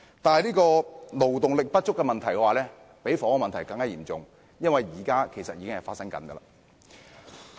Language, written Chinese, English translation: Cantonese, 不過，勞動力不足的問題比房屋問題嚴重，因為此問題現在已經發生。, But the problem of labour shortage is more serious than the housing problem because the former is here with us now